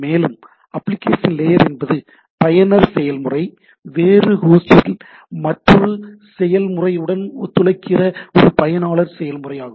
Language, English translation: Tamil, And application layer is a user process, cooperating with another process usually on the different host